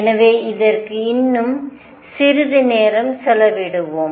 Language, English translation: Tamil, So, let us just spend some more time on this